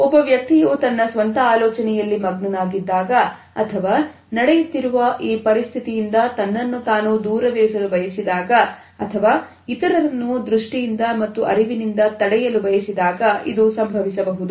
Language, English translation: Kannada, It may occur when either a person is engrossed in one’s own thought and wants to cut off from the whole situation or on the other hand wants to in a way block others from the sight and from the cognizes itself